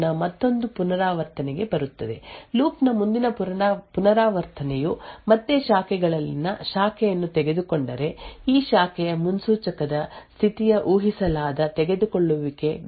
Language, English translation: Kannada, So then the state of the branch predict comes from here to from 00 to 01 another iteration of the loop the next iteration of the loop if again the branch in the branches is taken then a the state of this branch predictor moves to predicted taken and which has a value of 11